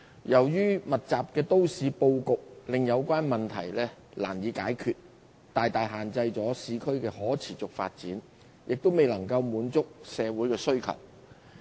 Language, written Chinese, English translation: Cantonese, 由於密集的都市布局，令有關問題難以解決，大大限制了市區的可持續發展，亦未能滿足社會的需求。, The compact urban layout makes it hard to resolve the congestion problem and meet the demands of the community . It also imposes severe constraints on the sustainable development of urban areas